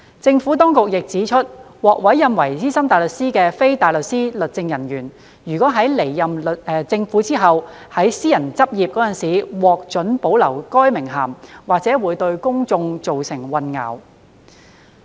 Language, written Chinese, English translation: Cantonese, 政府當局亦指出，獲委任為資深大律師的非大律師律政人員，若在離任政府後及於私人執業時獲准保留該名銜，或會對公眾造成混淆。, The Administration also advised that if legal officers appointed as SC were allowed to retain that title after leaving the Government and when practising in the private sector it might cause confusion to the public